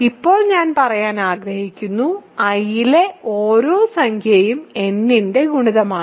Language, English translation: Malayalam, Now, we want to say that every integer in I is a multiple of n